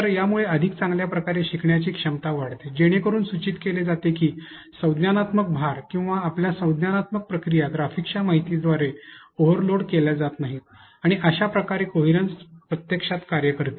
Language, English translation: Marathi, So, and this enhances the ability to be able to learn better which implies therefore, that cognitive load or your cognitive processes are not overloaded by the information of the graphics that is put and this is how coherence principle actually works